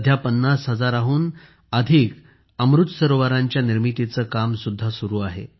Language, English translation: Marathi, Presently, the work of building more than 50 thousand Amrit Sarovars is going on